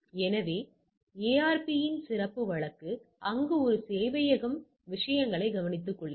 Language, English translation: Tamil, So, this is special case of ARP where one server is taking care of the things